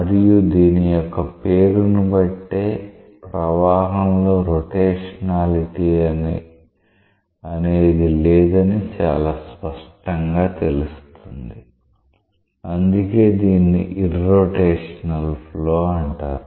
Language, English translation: Telugu, And from the name itself, it is quite clear that there is no element of rotationality in the flow; that is why it is called as irrotational flow